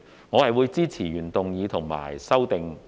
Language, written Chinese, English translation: Cantonese, 我會支持原議案及修正案。, I support the original motion and the amendment